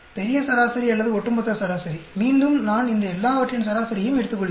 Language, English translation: Tamil, The grand average or overall average again I take an average of all these